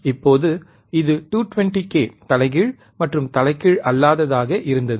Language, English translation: Tamil, Now, this was about ~220 k, 220 k inverting and non inverting